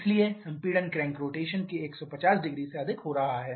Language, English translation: Hindi, So, compression is taking place over 1500 of crank rotation